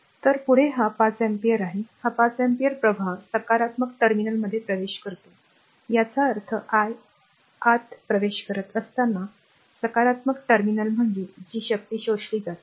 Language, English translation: Marathi, So, next is this 5 ampere, this 5 ampere current entering to the positive terminal right; that means, as I entering into the positive terminal means it is power absorbed